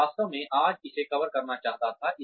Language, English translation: Hindi, I really wanted to cover this today